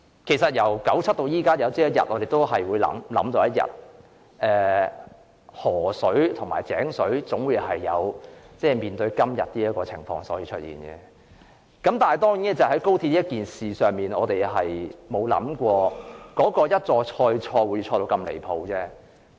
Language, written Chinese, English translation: Cantonese, 其實，由1997年至今，大家早已知道河水和井水總有一天會面對今天這種情況。當然，就高鐵一事，我們沒有想到會一錯再錯且錯得那樣離譜。, As a matter of fact we already know since 1997 that the river water and the well water will eventually develop into the present state one day but it is beyond our imagination that mistakes will be committed so repeatedly and outrageously as far as XRL is concerned